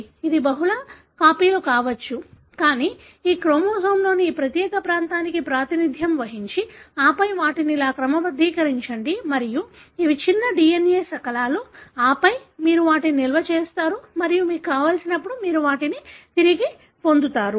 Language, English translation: Telugu, It could be multiple copies, but represent this particular region of this chromosome and then sort them like this, and these are smaller DNA fragments and then you store them and whenever you want, you will be able to get them